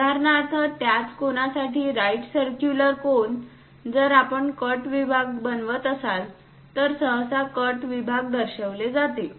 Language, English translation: Marathi, For example, for the same cone the right circular cone; if we are making a cut section, usually cut sections are shown